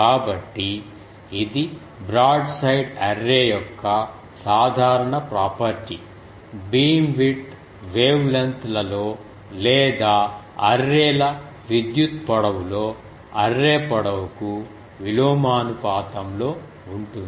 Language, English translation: Telugu, So, this is the general property of a broadside array; the beamwidth is inversely proportional to the array length in wavelengths or arrays electrical length